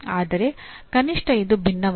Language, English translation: Kannada, But at least it is different